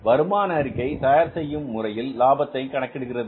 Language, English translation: Tamil, So the income statements are prepared like this to arrive at the profit